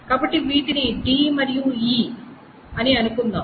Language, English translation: Telugu, So let us say those are d and e